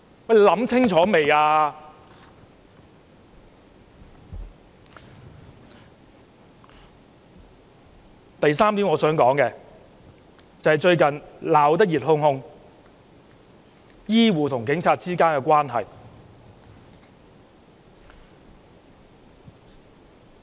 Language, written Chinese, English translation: Cantonese, 我想說的第三點，是最近鬧得熱烘烘的醫護和警察關係。, The third point I wish to make is about the relationship between health care workers and the Police which has recently aroused heated discussions